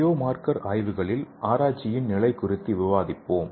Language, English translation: Tamil, So let us see the biomarker research status in future